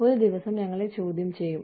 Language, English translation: Malayalam, So, that, we are questioned some day